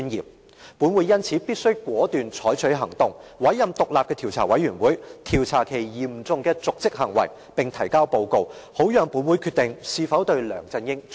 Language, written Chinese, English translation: Cantonese, 因此，立法會必須採取果斷行動，委任獨立的調查委員會調查此嚴重瀆職行為，並提交報告，讓立法會決定是否彈劾梁振英。, Hence the Legislative Council must take resolute action and form an independent committee to enquire into this serious dereliction of duty and table a report for the consideration of the Legislative Council whether or not to impeach LEUNG Chun - ying